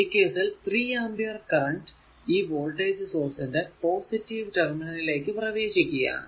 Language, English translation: Malayalam, Now, this 3 ampere current is entering into the your what you call positive terminal so, power is being absorbed